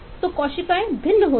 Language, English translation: Hindi, so the cells differ, they are, they are different kind of cells